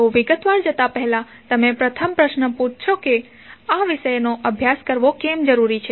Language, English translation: Gujarati, So before going into the detail first question you may be asking that why you want to study this particular subject